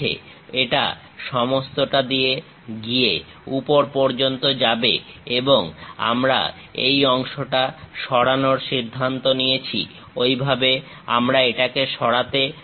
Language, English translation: Bengali, It goes all the way to top; because we are considering remove this part, in that way we would like to remove it